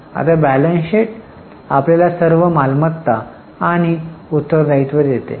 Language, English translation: Marathi, Now, the balance sheet gives you all assets and liabilities